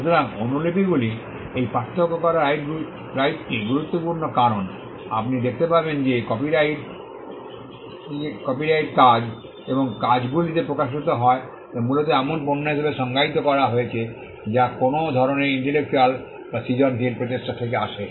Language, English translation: Bengali, So, the right to make copies this distinction is important because, you will see that copyright manifest itself on works and works have been largely defined as products that come from some kind of an intellectual or a creative effort